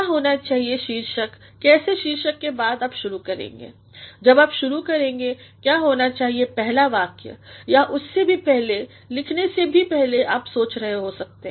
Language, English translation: Hindi, What should be the title how after the title you should initiate when you initiate, what should the first sentence or even before that even before you write you also might be thinking